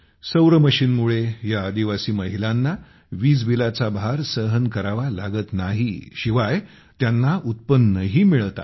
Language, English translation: Marathi, Due to the Solar Machine, these tribal women do not have to bear the burden of electricity bill, and they are earning income